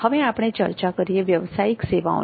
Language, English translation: Gujarati, Then we come to professional services